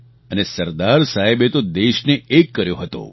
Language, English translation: Gujarati, Sardar Saheb unified the country